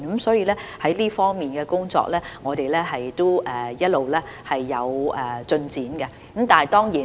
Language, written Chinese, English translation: Cantonese, 所以，我們在這方面的工作一直也有進展。, Hence work is all - along being done in this regard